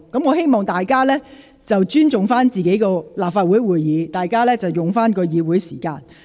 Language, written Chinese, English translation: Cantonese, 我希望大家尊重立法會會議，並善用議會時間。, I hope that Members show respect to the Legislative Council meetings and make good use of the Councils time